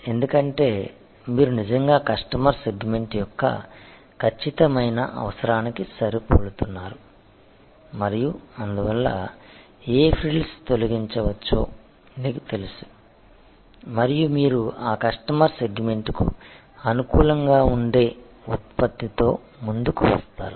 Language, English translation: Telugu, Because, you are actually matching the exact requirement of the customer segment and therefore, you know what frills can be deleted and you come up with the product which is optimally suitable for that customer segment